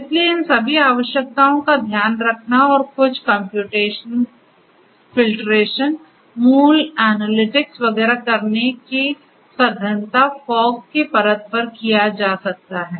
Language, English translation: Hindi, So, taking care of all of these requirements and the density of doing certain computation filtration you know basic analytics and so on could be done at the fog layer